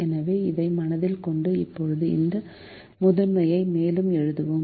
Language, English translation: Tamil, so with this in mind, let us now write this primal further